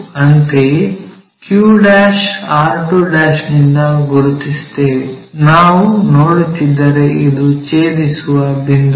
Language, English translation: Kannada, Similarly, locate from q1' r2'; if we are seeing this is the point what is intersecting